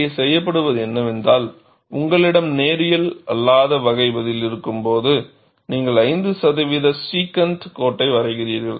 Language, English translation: Tamil, What is then here is, when you have a non linear type of response, you draw a 5 percent secant line